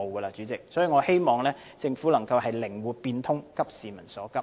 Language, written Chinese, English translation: Cantonese, 所以，代理主席，我希望政府能夠靈活變通，急市民所急。, For this reason Deputy President I hope that the Government can think out of the box and address peoples pressing needs